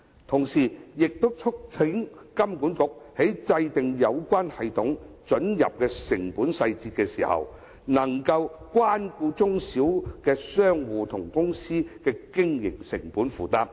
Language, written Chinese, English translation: Cantonese, 同時，我亦促請金管局在制訂有關准入系統的成本細節時，可以顧及中小型商戶和公司的經營成本負擔。, I also urge HKMA to take into consideration the operation costs borne by SMEs when formulating the cost details of the threshold system